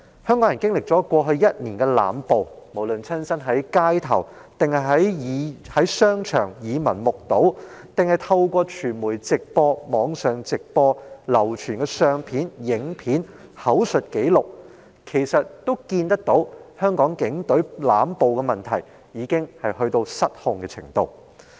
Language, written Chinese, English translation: Cantonese, 香港人經歷過去一年的濫暴，無論是親身在街頭或商場耳聞目睹，還是透過傳媒直播、網上直播、流傳的相片和影片及口述紀錄，均可見到香港警隊的濫暴問題已到達失控的程度。, Hong Kong people have experienced the excessive use of violence in the past year and as revealed from what was seen and heard on the street or in shopping malls or from live broadcasts on media platforms live webcasts widely circulated photos video clips and oral records the excessive use of violence by the Hong Kong Police Force has already run out of control